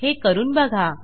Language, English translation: Marathi, So check it out